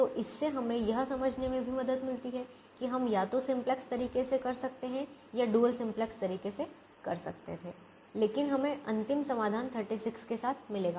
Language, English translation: Hindi, so this also help us understand that we could do either the simplex way or we could do the dual simplex way, but we will get the final solution with thirty six because there is alternate optimum we have